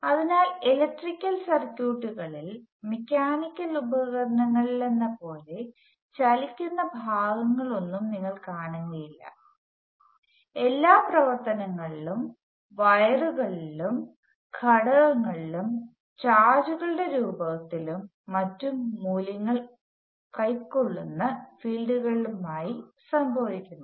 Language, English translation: Malayalam, So, unlike a mechanical gadgets in an electrical circuit you do not say any moving parts; all the actions happens inside the wires and inside the components in the forms of charges moving and fields taking on some values and somewhere and so on